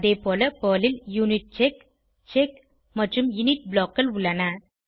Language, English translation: Tamil, Similarly, PERL has UNITCHECK, CHECK and INIT blocks